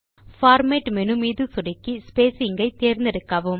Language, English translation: Tamil, click on Format menu and choose Spacing